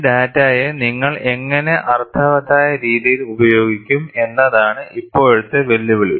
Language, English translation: Malayalam, Now, the challenge is, how you will utilize this data in a meaningful way